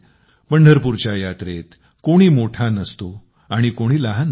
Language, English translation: Marathi, In the Pandharpur Yatra, one is neither big nor small